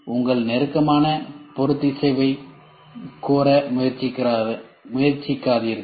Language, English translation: Tamil, Do not try to demand your tighter tolerance